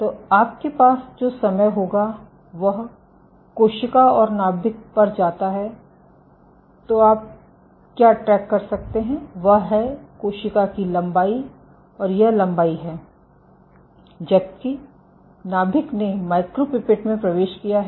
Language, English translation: Hindi, So, what you can track is this length of the cell and this length that the nucleus has entered into the micropipette